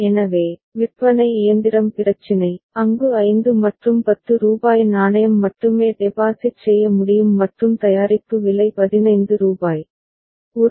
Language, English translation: Tamil, So, that the vending machine problem where, rupees 5 and rupees 10 coin can only be deposited and the product is priced rupees 15